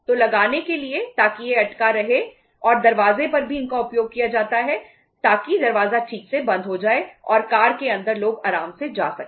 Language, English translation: Hindi, So for fixing up so that it remains stuck and they are also used for say say on the doors also so that door properly shuts and the car uh can people can be comfortable inside the car